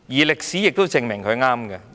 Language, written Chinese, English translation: Cantonese, 歷史已證明他是正確的。, History has proven that he was correct